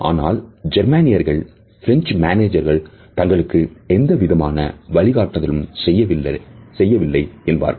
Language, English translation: Tamil, While Germans can feel that the French managers do not provide any direction